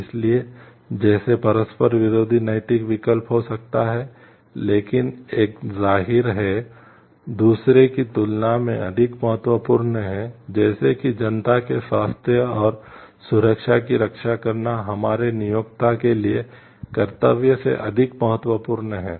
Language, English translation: Hindi, So, like there could be conflicting moral choices, but one is; obviously, more significant than the other, like protecting the health and safety of the public is more important than our duty to the employer